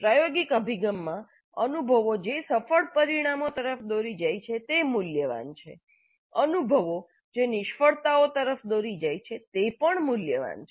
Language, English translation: Gujarati, In experiential approach experiences which lead to successful results are valuable, experiences which lead to failures are also valuable